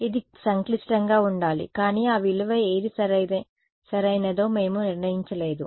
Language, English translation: Telugu, It should be complex, but we had not decided what that value is right